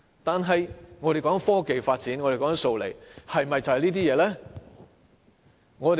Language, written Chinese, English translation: Cantonese, 但是，我們所說的科技發展和"數理"，是否就只是這些東西呢？, Nevertheless do the technological development and mathematics and science as we refer to only entail such things?